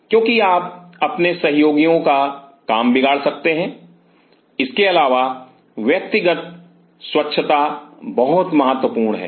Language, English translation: Hindi, Because you may spoil the work of your colleagues, apart from it the personal hygiene is very important